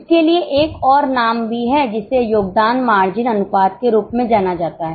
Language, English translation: Hindi, There is another name for it also that is known as contribution margin ratio